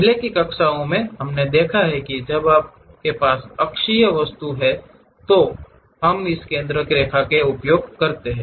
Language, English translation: Hindi, In the earlier classes we have seen when you have axis axisymmetric kind of objects, we use this center line